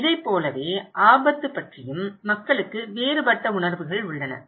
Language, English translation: Tamil, So, this is how people have different perspective about the risk